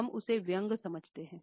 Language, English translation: Hindi, We think of him as sarcasm